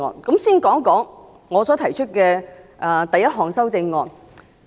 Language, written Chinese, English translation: Cantonese, 首先說一說我所提出的第一項修正案。, To begin with let me talk about my first amendment